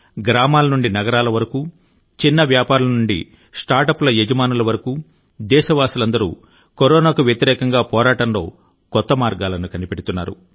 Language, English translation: Telugu, A multitude of countrymen from villages and cities, from small scale traders to start ups, our labs are devising even new ways of fighting against Corona; with novel innovations